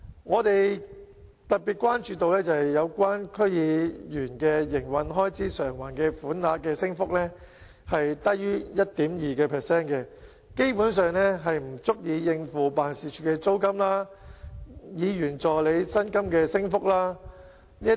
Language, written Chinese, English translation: Cantonese, 我們特別關注到區議員的營運開支償還款額的升幅低於 1.2%， 基本上不足以應付辦事處租金和議員助理薪金升幅等。, We are particularly concerned about an increase of less than 1.2 % in the Operating Expenses Reimbursement for DC members which basically cannot cope with the increase in office rental and salaries of assistants to members